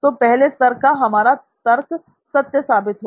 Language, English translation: Hindi, So this our first level of reasoning was true